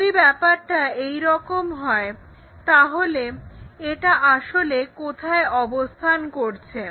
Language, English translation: Bengali, If that is the case where exactly it will be located